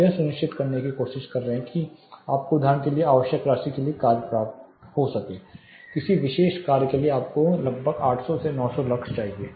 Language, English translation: Hindi, You are trying to ensure you get the task lighting to the required amount say for example; you need around 800 to 900 lux for a particular task